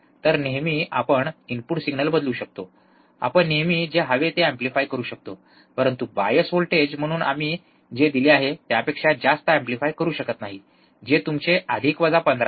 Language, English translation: Marathi, So, we can always change the input signal, we can always amplify whatever we want, but we cannot amplify more than what we I have given as the bias voltage, which is your plus minus 15